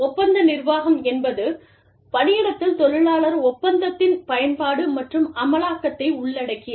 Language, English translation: Tamil, Contract administration involves, application and enforcement of the labor contract, in the workplace